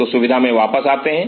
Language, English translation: Hindi, So, coming back out in facility